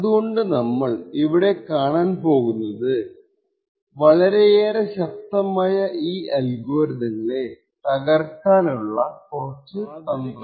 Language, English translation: Malayalam, So what we will see in this lecture is how we could use a few tricks to break these extremely strong algorithms